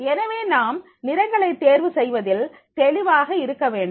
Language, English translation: Tamil, So, therefore, in that case, we have to be very clear in choosing our colors